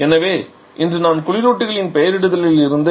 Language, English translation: Tamil, So, today I shall be starting with the naming convention of refrigerants